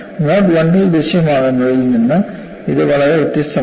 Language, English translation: Malayalam, It is so different from what is appearing in mode 1